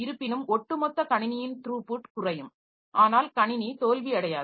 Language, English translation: Tamil, Though the overall system throughput will become less, but the system will not fail